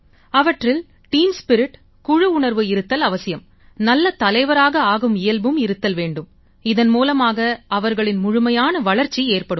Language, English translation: Tamil, They should have a feeling of team spirit and the qualities of a good leader for their overall holistic development